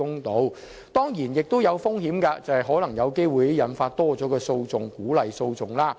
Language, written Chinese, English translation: Cantonese, 可是，這當然亦有風險，就是有機會引發更多訴訟，鼓勵訴訟。, But there is of course one risk the risk of triggering more litigations and encouraging the instigation of lawsuits